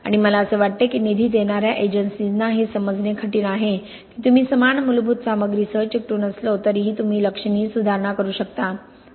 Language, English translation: Marathi, And I think that is kind of difficult for funding agencies to realize that even though you are sticking with the same basic materials you can still make considerable improvements